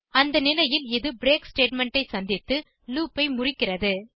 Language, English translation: Tamil, At this point, it will encounter the break statement and break out of the loop